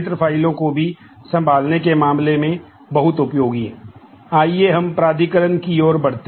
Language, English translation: Hindi, Let us move to authorization